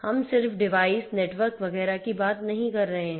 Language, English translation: Hindi, We are not just talking about devices networks and so on